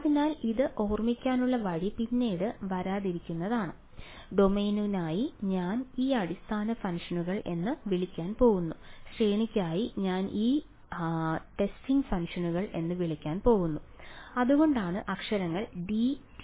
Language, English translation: Malayalam, So, the way to remember it is sort of what will come later on, for the domain I am going to call this basis functions and for the range I am going to call this testing functions that is why letters b and t ok